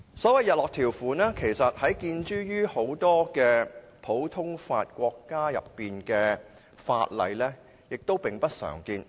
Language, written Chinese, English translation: Cantonese, 所謂日落條款，其實在很多普通法國家的法例中並不常見。, Actually the so - called sunset clauses are rarely seen in many common law countries